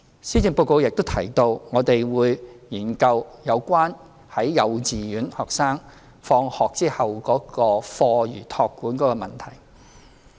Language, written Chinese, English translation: Cantonese, 施政報告也提到，我們會研究有關幼稚園學生放學後課餘託管的問題。, As also mentioned in the Policy Address we will study the issue of after - school care services for kindergarten students